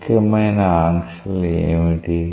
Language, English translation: Telugu, What are the important restrictions